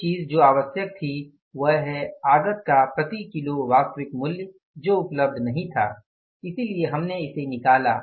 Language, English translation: Hindi, One thing which was required that is the actual price per kg of the input that was not available so we have found it out